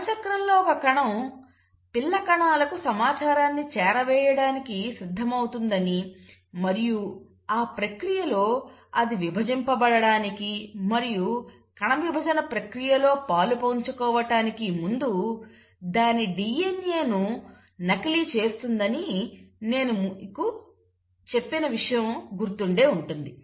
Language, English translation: Telugu, Remember I told you that in cell cycle a cell prepares itself to pass on the information to the daughter cells and the way it does that is that it first duplicates its DNA before actually dividing and undergoing the process of cell division